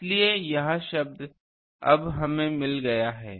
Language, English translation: Hindi, So, this term we have got now